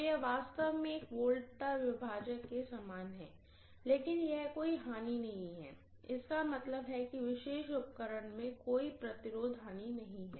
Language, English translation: Hindi, So it is really similar to a potential divider, but this is non lossy there is no loss, that means there is no resistance loss in this particular, you know apparatus